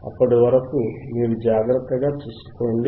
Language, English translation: Telugu, tTill then you take care